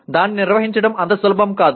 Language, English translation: Telugu, It is not easy to handle either